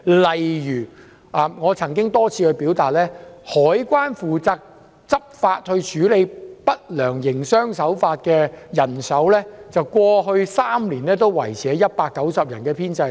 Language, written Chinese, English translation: Cantonese, 例如我曾多次表達意見，指香港海關負責執法處理不良營商手法的編制，過去3年也維持在190人，人手未曾增加。, For example I have repeatedly pointed out that the number of staff the Customs and Excise Department CED in charge of handling unfair trade practices had not been increased and remained at 190 in the past three years